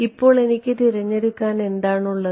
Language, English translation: Malayalam, So now, what choice do I have